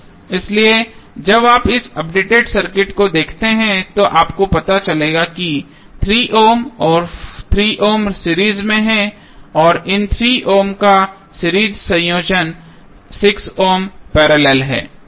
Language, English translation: Hindi, So, when you see this updated circuit you will come to know that 3 ohm 3 ohm are in series and the series combination of these 3 ohms is in parallel with 6 ohm